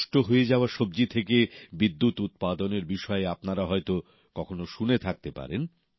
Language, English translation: Bengali, You may have hardly heard of generating electricity from waste vegetables this is the power of innovation